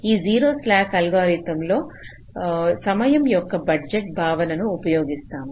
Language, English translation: Telugu, ok, so in the zero slack algorithm we are using the concept of a time budget